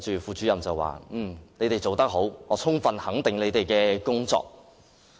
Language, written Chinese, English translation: Cantonese, 副主任對他們說："你們做得好，我充分肯定你們的工作。, The Deputy Director said to them You have all done well and I fully recognize your work